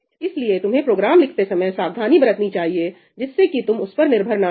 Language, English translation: Hindi, So, you should be careful to write your programs in a way that you are not dependent on that